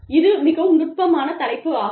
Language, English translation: Tamil, Very sensitive topic